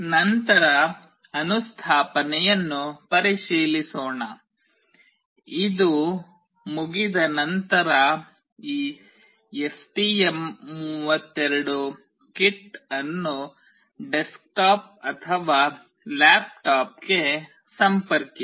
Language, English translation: Kannada, Next checking the installation; once it is already done connect this STM32 kit to the desktop or laptop